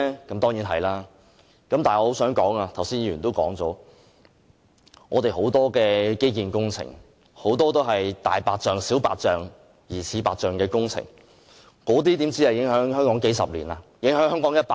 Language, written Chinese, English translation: Cantonese, 但是，我想說的是，正如剛才也有議員提及，我們很多的基建工程，當中很多是"大白象"、"小白象"及"疑似白象"的工程，那些工程不只影響香港數十年，甚至影響香港一百年！, However as some Members have also mentioned just now what I wish to point out is that for the many local infrastructure projects a majority of which big white elephant small white elephant or suspected white elephant their impact on Hong Kong will last for not just a few decades but as long as a hundred years!